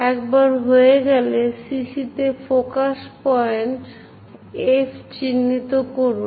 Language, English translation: Bengali, Once done, mark focus point F on CC prime